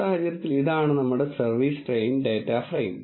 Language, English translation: Malayalam, In this case this is our service train data frame